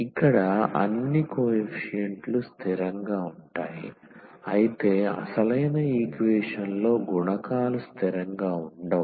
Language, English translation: Telugu, So, all the coefficients here are constant whereas, this in original equation the coefficients were not constant